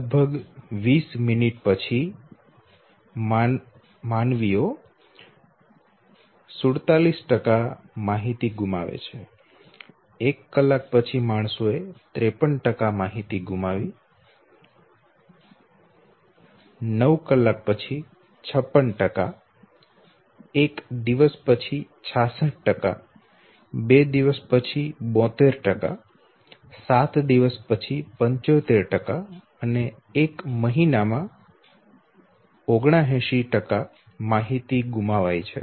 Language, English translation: Gujarati, That after lapse of around 20 minutes human beings they have loss of 47% information after 1 hour 53 % loss of information after nine hours we have 56% of loss after one day we have 66 %, two day 72% seven days 75% and after one month we have loss of 79% of information